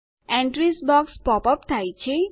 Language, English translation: Gujarati, The Entries box pops up